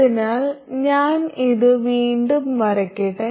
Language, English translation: Malayalam, So now let's analyze this